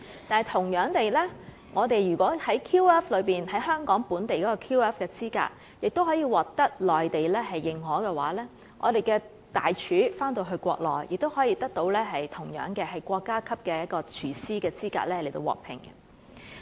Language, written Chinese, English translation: Cantonese, 但同樣地，香港的 QF 資格也可以獲得內地認可，我們的大廚回到國內，亦同樣可以國家級廚師資格獲聘。, But equally Hong Kong chefs with equivalent QF qualifications can also be recognized in the Mainland and be employed as national chefs there